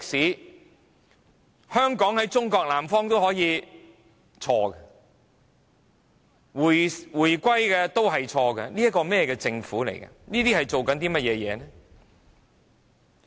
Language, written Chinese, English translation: Cantonese, 說香港在中國南方都可以是錯的，說"回歸"也是錯的，這是甚麼樣的政府？, At present it is wrong to say that Hong Kong is at the southern part of China . It is also wrong to say handover of sovereignty . What sort of Government is it?